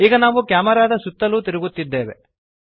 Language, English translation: Kannada, Now we are rotating around camera